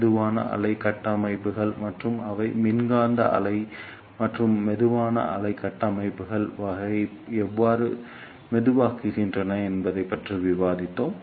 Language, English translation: Tamil, Then ah we discussed the slow wave structures, and how they slow down the electromagnetic wave and type of slow wave structures